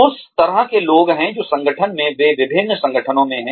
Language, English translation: Hindi, There are people like that, in the organization than, they in different organizations